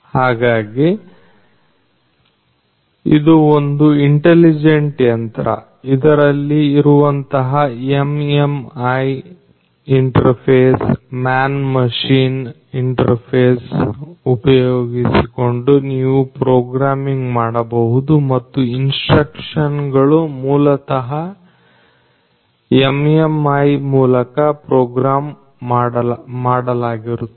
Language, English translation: Kannada, So, this is an intelligent machine where you can do the programming using the Man Machine interface the MMI interface which is there and through the instructions that are basically programmed through the MMI